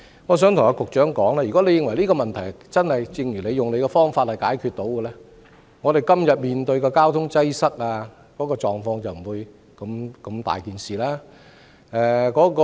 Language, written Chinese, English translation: Cantonese, 我想告訴局長，如果這個問題真的能夠以他所說的方法解決，我們今天面對的交通擠塞狀況便不會如此嚴重。, I would like to tell the Secretary that if the problem can really be solved by adopting the method suggested by him we will not be facing such a serious problem of traffic congestion now